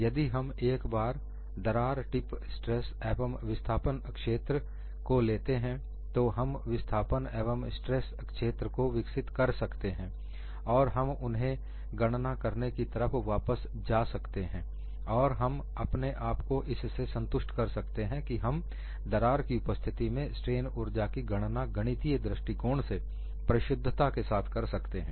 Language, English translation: Hindi, Once we take a crack tip stress and displacement fields, we would develop displacement as well as stress field then come back and do these calculations again, and satisfy our self that, we could find out the strain energy in the presence of crack, from a mathematical stand point accurately